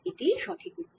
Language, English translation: Bengali, that's the right answer